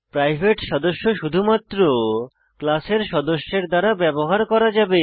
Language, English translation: Bengali, Private members can be used only by the members of the class